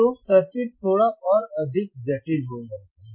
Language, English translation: Hindi, So, circuit becomes little bit more complex